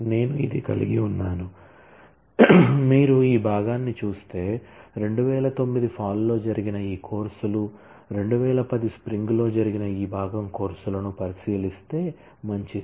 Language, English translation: Telugu, I have so, if you look at this part this courses that happened in fall 2009; if we look at this part courses that happened in spring 2010 good